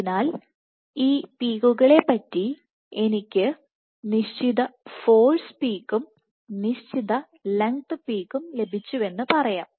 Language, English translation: Malayalam, So, for these peaks let us say I get certain force peak and a certain length peak